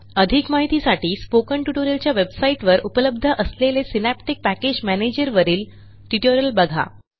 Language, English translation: Marathi, For details, watch the tutorial on Synaptic Package Manager available on the Spoken Tutorial website